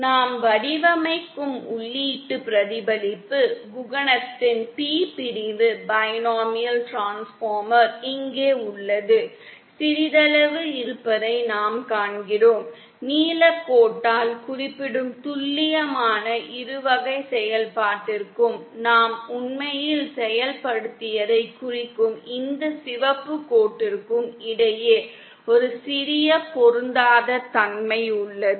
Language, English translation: Tamil, Here is a P section binomial transformer the input reflection coefficient that we design, we see that there is a slight, you there is slight mismatch between the exact binomial function represented by the blue line and this red line representing what we actually implemented